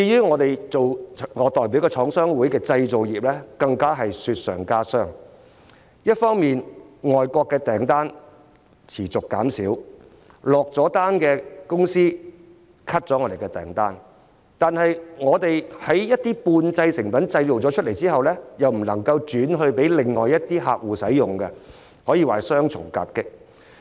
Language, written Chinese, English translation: Cantonese, 我代表的廠商會所屬的製造業，更是雪上加霜，一方面外國訂單持續減少，已下訂單的公司取消訂單，但是半製成品完成後又不能轉售給其他客戶使用，可說是雙重夾擊。, I represent the Chinese Manufacturers Association of Hong Kong . The manufacturing industry to which it belongs is facing even more serious difficulties . On the one hand the number of overseas orders continue to decrease while on the other orders already placed are being cancelled and semi - finished products cannot be sold to other clients dealing a double blow to the industry